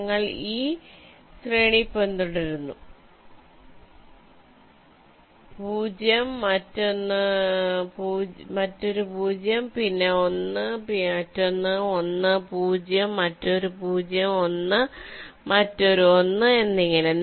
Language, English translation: Malayalam, we are following this sequence: zero, then another zero, then a one, then another one, then a zero, another zero, one, then another one, and so on